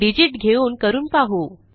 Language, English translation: Marathi, Let us try this with a digit